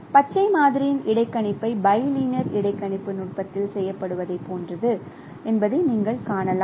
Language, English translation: Tamil, So as you can see that no interpolation of green sample is the same as it is done in bilinear interpolation technique